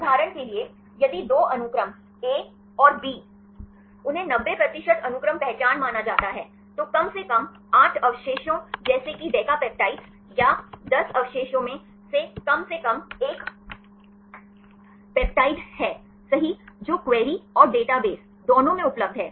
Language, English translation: Hindi, For example, if two sequences A and B, they are considered to be 90 percent sequence identity, there is at least one peptide right at least of 8 residues like decapeptides or 10 residues, which are available both in query and database